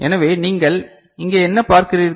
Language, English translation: Tamil, So this what you see over here